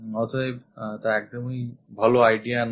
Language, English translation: Bengali, So, this is not a good idea